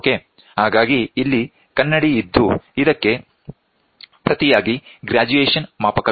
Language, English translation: Kannada, So, here there is mirror and this in turn has a graduation scale